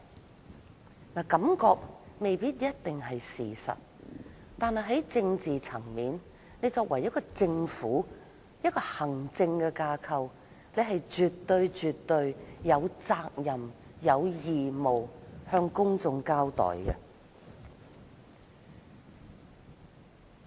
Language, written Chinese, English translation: Cantonese, 雖然感覺不一定是事實，但在政治層面上，政府作為行政架構，絕對有責任向公眾交代。, While impression may not always be true in the political world the Government as the executive branch is obliged to give people an account